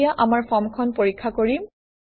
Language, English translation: Assamese, Now, let us test our form